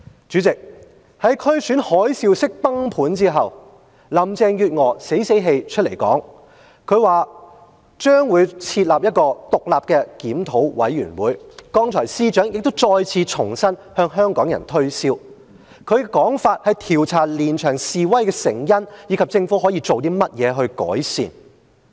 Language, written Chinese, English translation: Cantonese, 主席，在區選海嘯式崩盤後，林鄭月娥死死氣出來說："將會設立一個獨立檢討委員會"——剛才司長再次重申向香港人推銷，他的說法是，調查連場示威的成因，以及政府可以做甚麼來改善。, President after a landslide defeat in the District Council Election Carrie LAM reluctantly announced that an independent Review Committee would be set up―just now the Secretary also tried to convince Hong Kong people that the committee would review the causes of the protests and what improvement should the Government make . After six months the Chief Executive still sticks to needless duplication and tries to put on a show by asking what can be done to make improvement